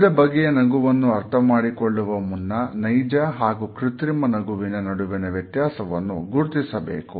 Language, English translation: Kannada, Before going further into understanding different types of a smiles, we must understand how to differentiate between a genuine and a fake smile